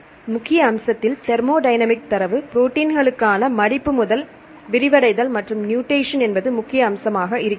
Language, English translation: Tamil, So, in major aspect a thermodynamic data for the proteins from folding to unfolding as well as other mutations that is a major one